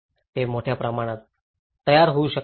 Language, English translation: Marathi, They can ready at great extent